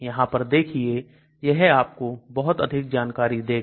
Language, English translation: Hindi, Look at this, it gives you lot of information